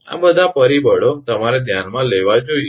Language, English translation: Gujarati, All these all these factors you have to consider